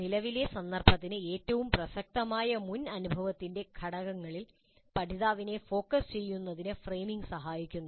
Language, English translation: Malayalam, Framing helps in making learner focus on the elements of prior experience that are most relevant to the present context